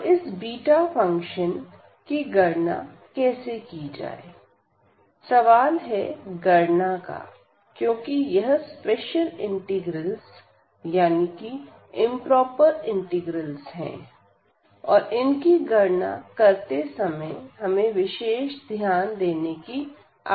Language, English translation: Hindi, And so, how to evaluate this beta function; the question is the evaluation because these are the special integrals, improper integrals and special care has to be taken to evaluate this beta function